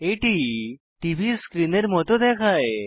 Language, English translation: Bengali, It looks like a TV screen